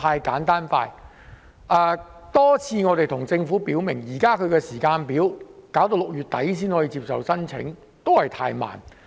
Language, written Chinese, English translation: Cantonese, 我們多次向政府表明，現時的時間表是要到6月底才接受申請，確實過於緩慢。, We have made it clear to the Government many times that the current timetable of accepting applications starting from the end of June is indeed not fast enough